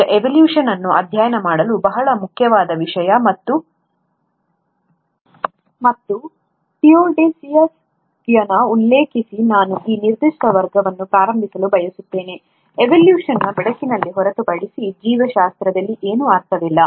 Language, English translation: Kannada, Now, evolution is a very important subject and topic to study, and I would like to start this particular class by quoting Theodosius Dobzhansky, that “Nothing in biology makes sense except in the light of evolution”